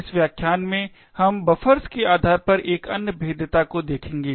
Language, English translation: Hindi, In this lecture we will look at another vulnerability based on buffers